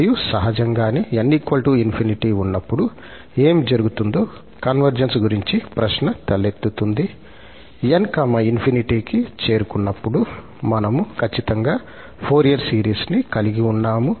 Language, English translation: Telugu, And, naturally the question arises about the convergence that what is happening when n approaches to infinity that means, we are exactly at the Fourier series when n approaches to infinity